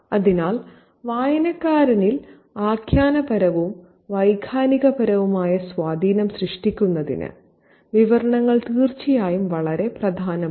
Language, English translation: Malayalam, So, the descriptions certainly are very important to creating narrative and emotional impacts on the reader